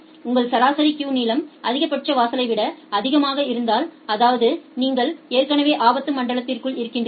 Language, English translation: Tamil, And if your average queue length is more than the maximum threshold; that means, you are already within the danger zone